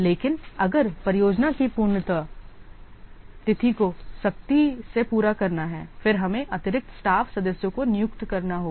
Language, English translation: Hindi, But if the projects completion date has to be made strictly, then we have to hire additional staff members